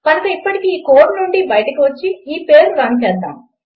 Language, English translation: Telugu, So Ill get rid of this code for now and run this page, okay